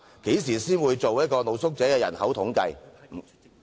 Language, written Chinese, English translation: Cantonese, 何時才會進行露宿者人口統計？, When will a census of street sleepers be conducted?